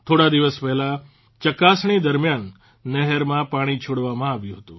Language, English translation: Gujarati, A few days ago, water was released in the canal during testing